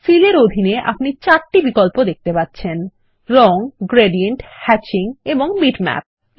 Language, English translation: Bengali, Under Fill, you will see the 4 options Colors, Gradient, Hatching and Bitmap